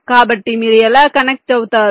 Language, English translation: Telugu, so how do connect